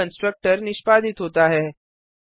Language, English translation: Hindi, Only then the constructor is executed